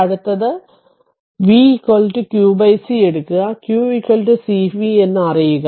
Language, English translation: Malayalam, So, this you know that q is equal to c v